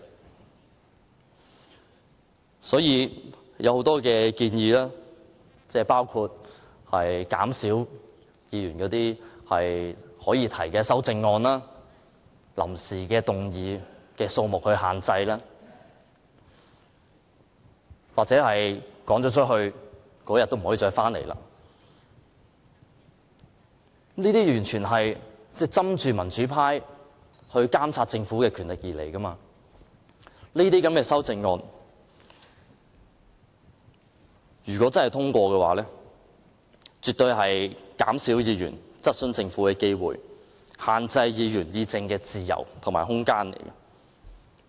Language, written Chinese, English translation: Cantonese, 該指引提出的很多建議，包括減少議員可以提出的修正案、臨時動議的數目，又或是議員被趕離會議廳後，當天再不能返回會議廳等，完全是針對民主派監察政府的權力而提出的，這些修正案如果獲得通過，絕對會減少議員質詢政府的機會，限制議員議政的自由和空間。, The guideline has put forward many proposals including reducing the numbers of amendments and motions without notice that a Member can propose and barring a Member from returning to the Chamber within the same day after being expelled from the Chamber . All these proposals aim at reducing the pan - democratic Members power to monitor the Government . Should these proposals be passed they will definitely reduce the chance of Members questioning the Government and limit Members freedom and room for discussing political affairs